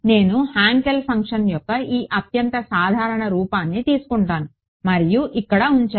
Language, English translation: Telugu, Supposing I take this most general form of Hankel function and put inside over here